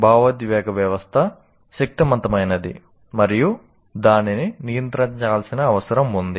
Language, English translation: Telugu, Because emotional system can be very strong, so it has to regulate that